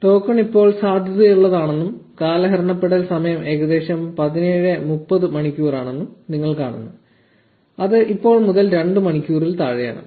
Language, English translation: Malayalam, You see that the token is valid right now and the expiration time is about 17:30 hours which is less than 2 hours from now